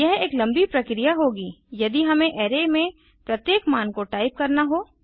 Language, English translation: Hindi, It would be a long process if we have to type each value into the array